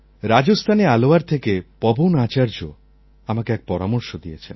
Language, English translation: Bengali, Pawan Acharya form Alwar, Rajasthan has sent me a message